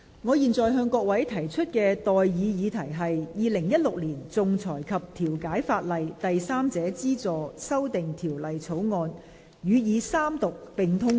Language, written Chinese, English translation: Cantonese, 我現在向各位提出的待議議題是：《2016年仲裁及調解法例條例草案》予以三讀並通過。, I now propose the question to you and that is That the Arbitration and Mediation Legislation Amendment Bill 2016 be read the Third time and do pass